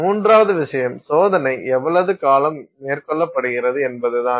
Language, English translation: Tamil, The third thing is how long the test is carried out